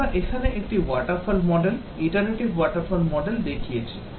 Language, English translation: Bengali, We have shown here a water fall model, iterative water fall model